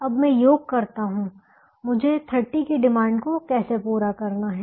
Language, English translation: Hindi, now when i sum how i have to meet the demand of thirty